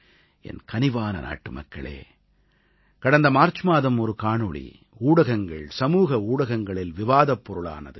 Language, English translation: Tamil, My dear countrymen, in March last year, a video had become the centre of attention in the media and the social media